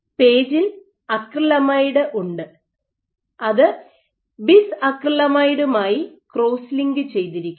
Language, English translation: Malayalam, So, in PAGE you have acrylamide which is cross linked with bis acrylamide